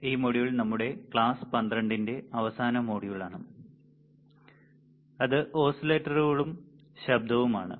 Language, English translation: Malayalam, And this module is a last model for our class 12, which is oscillators and noise right